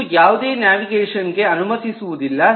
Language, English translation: Kannada, this does not allow any navigation at all